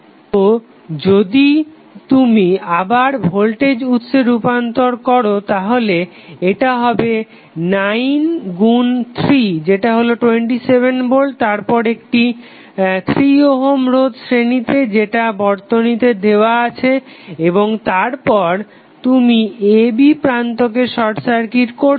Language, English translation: Bengali, If you transform again into voltage source so this will become 9 into 3 that is 27 volt then in series with 3 ohm resistance again in series with 3 ohm resistance which is given in the figure and then you are short circuiting the terminal a, b